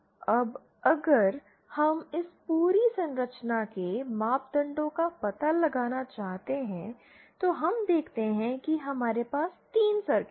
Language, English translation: Hindi, Now if we want to find out the ass parameters of this entire structure then we see that we have 3 circuits